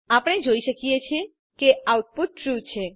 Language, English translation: Gujarati, As we can see, the output is True